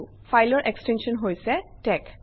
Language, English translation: Assamese, The extension of the file is tex